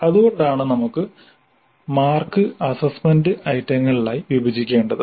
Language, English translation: Malayalam, So that is the reason why we need to split the marks into assessment items